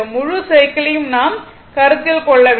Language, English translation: Tamil, We have to consider from the whole cycle